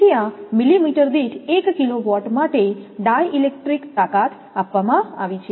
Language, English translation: Gujarati, So, di electric strength for this one kilovolt per millimeter is given